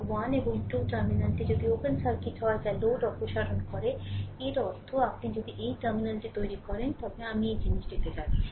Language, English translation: Bengali, If the terminal 1 and 2 are open circuited that is by removing the load; that means, if you if you make this terminal, I am going to the this thing